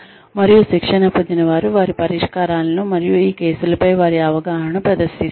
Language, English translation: Telugu, And, the trainees present their solutions, and their understanding of these cases